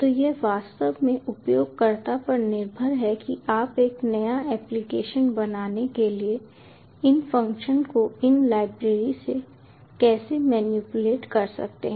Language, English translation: Hindi, so its actually ah up to the user how you can manipulate these functions, these libraries, to build a new application